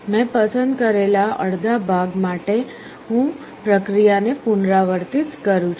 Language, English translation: Gujarati, I repeat the process for the half that I have selected